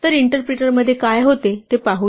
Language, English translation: Marathi, So, lets us see what happens in the interpreter